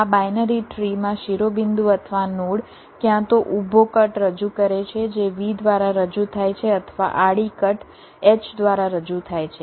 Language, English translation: Gujarati, in this binary tree, the vertex, or a node, represents either a vertical cut, represent by v, or a horizontal cut, represented by h